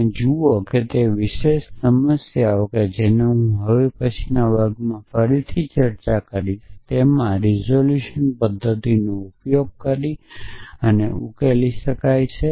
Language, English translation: Gujarati, And see that that particular problem which I will discuss again in the next class can be solved using resolution method essentially